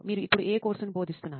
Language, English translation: Telugu, You are supposed to be teaching this course now